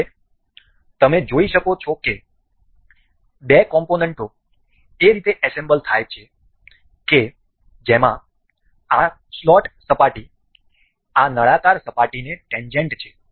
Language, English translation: Gujarati, Now, you can see the two components assembled in a way that does this slot surface is tangent to this cylindrical surface